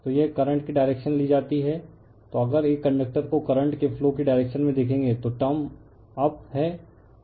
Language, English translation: Hindi, So, if you grasp a conductor in the direction of the flow of the current you will see term is up